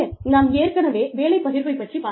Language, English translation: Tamil, We have already discussed, job sharing, earlier